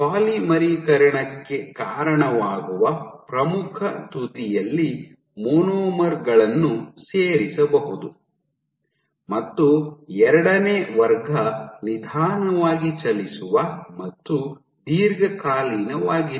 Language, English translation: Kannada, So, the monomers get provided they can get added at the leading edge leading to polymerization and the second class was slow moving and long lasting